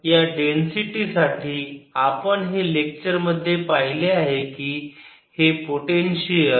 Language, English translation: Marathi, so for this density we have seen a in the lectures, the potential